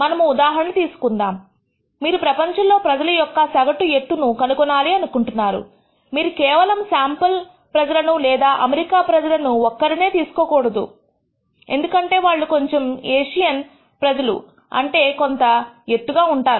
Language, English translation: Telugu, Suppose you want to actually find out the average height of people in the world, you cannot go and sample just people or take heights of American people alone because they are known to be much taller compared to the Asian people